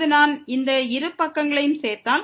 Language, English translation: Tamil, Now, if I add both the sides this square plus square